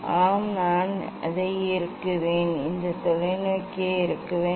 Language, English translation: Tamil, yes; I will tighten it I will tighten this telescope